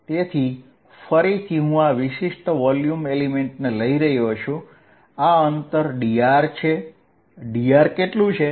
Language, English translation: Gujarati, So, again I am taking this particular volume element, this distance is d r how much is dr